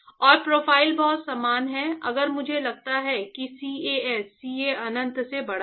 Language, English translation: Hindi, And the profiles are very similar if I assume that CAS is greater than CA infinity